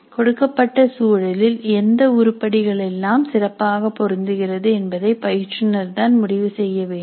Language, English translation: Tamil, So the instructor has to decide which are all the items which are best suited for the given context